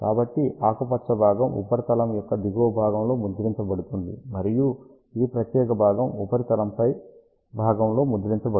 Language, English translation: Telugu, So, green portion is printed at the bottom side of the substrate, and this particular portion is printed on the top site of the substrate